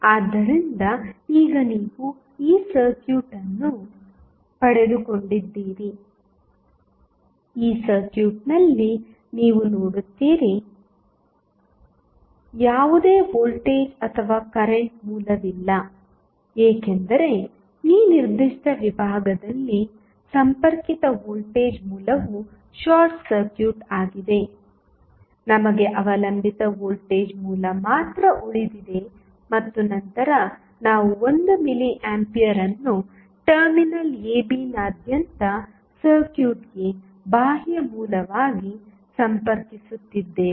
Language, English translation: Kannada, So, now, you have got this circuit, you see in this circuit, there is no voltage or current source because the connected voltage source in this particular segment is short circuited; we are left with only the dependent voltage source and then we are connecting 1 milli ampere as a source external to the circuit across terminal AB